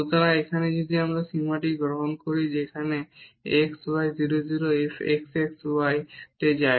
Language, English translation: Bengali, So, here if we take this limit as x y goes to 0 0 f x x y